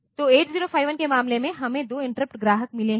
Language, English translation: Hindi, So, in case of 8 0 5 1, we have got 2 interrupt clients